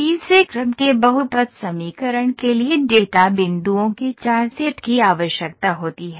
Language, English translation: Hindi, The third order polynomial equation requires 4 set of data points, when you are talk about 3D